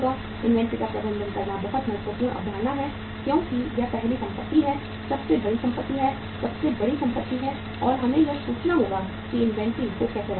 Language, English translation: Hindi, How to manage the inventory is very very important concept because it is the first asset , is the largest asset, is the biggest asset and we will have to think that how to keep the inventory